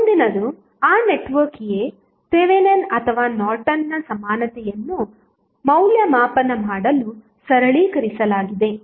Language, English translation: Kannada, So, what next is that network a simplified to evaluate either Thevenin's orNorton's equivalent